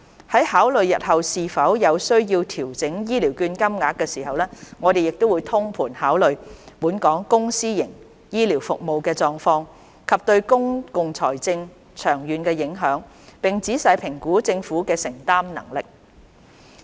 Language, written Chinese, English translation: Cantonese, 在考慮日後是否有需要調整醫療券金額時，我們會通盤考慮本港公私營醫療服務的狀況，以及對公共財政的長遠影響，並仔細評估政府的承擔能力。, When considering whether there is a need to adjust the voucher amount in the future we will give full regard to the situation of Hong Kongs public and private health care services and the long - term implications on public finance as well as carefully assess the Governments affordability